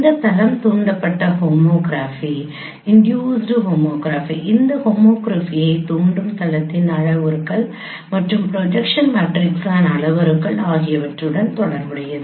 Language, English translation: Tamil, This plane induced homography is can be related with the parameters of the plane which is inducing this homography and also the the parameters of the projection matrices